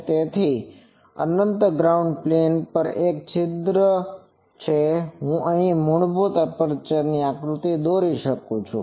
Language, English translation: Gujarati, So, it is an aperture in an infinite ground plane and I can write here the basic aperture diagram